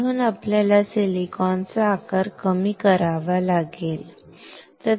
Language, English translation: Marathi, So, you have to reduce the size of silicon